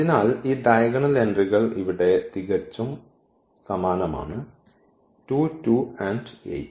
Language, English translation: Malayalam, So, we are getting these diagonal entries absolutely the same here 2 2 8